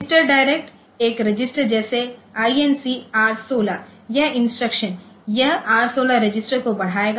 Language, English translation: Hindi, Register direct, one register like say increment R16, so this instruction, this will increment the R16 register